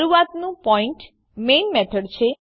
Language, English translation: Gujarati, The starting point is the Main method